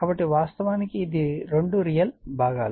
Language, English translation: Telugu, So, this is actually this two are real parts